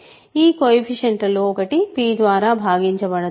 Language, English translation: Telugu, One of these coefficients is not divisible by p